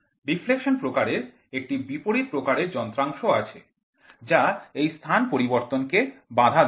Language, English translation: Bengali, The deflection type instrument has opposite effects which opposes the displacement of a moving system